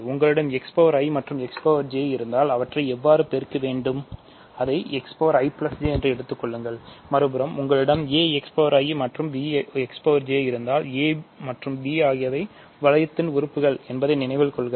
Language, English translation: Tamil, So, if you have x power i and x power j, how do you multiply them you simply take it to be x power i plus j; on the other hand if you have a x power i and b x power j; remember a and b are elements of the ring